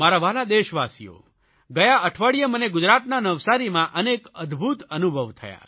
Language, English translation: Gujarati, My dear countrymen, last week I had many wonderful experiences in Navsari, Gujarat